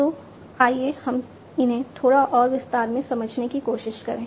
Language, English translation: Hindi, So, let us try to understand these in little bit more detail